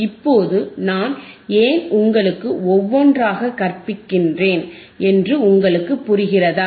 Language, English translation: Tamil, Now, you guys understand why I am teaching you one by one